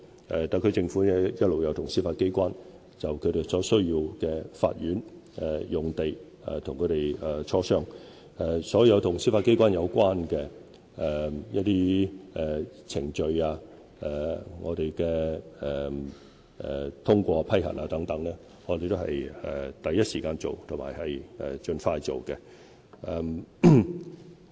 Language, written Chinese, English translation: Cantonese, 特區政府一直與司法機關就其所需的法院用地進行磋商，所有與司法機關有關的程序及通過批核等工作，我們都是第一時間盡快處理的。, The SAR Government has been liaising with the Judiciary regarding its request for court sites and all approval procedures relating to requests made by the Judiciary will be dealt with in the first instance